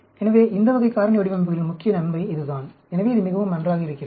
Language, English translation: Tamil, So, that is the main advantage of these type of factorial designs; so, it is very nice